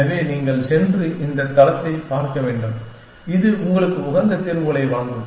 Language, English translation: Tamil, So, you must go and look at this site, which will give you optimal solutions essentially